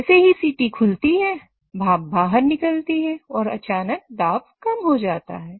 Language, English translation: Hindi, So as the whistle opens, the steam goes out and suddenly the pressure starts dropping